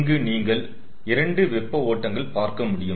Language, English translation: Tamil, so you can see there are two hot streams: ah